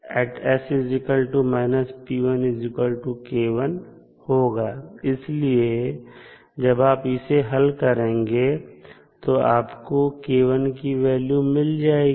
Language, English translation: Hindi, So, when you solve, you will get simply the value of k1